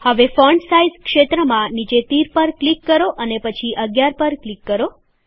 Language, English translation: Gujarati, Now click on the down arrow in the Font Size field and then click on 11